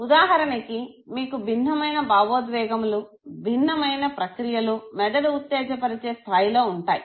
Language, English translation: Telugu, For instance you have different emotions which have different patterns in the brain activation given